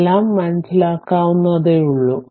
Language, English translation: Malayalam, So, everything is understandable to you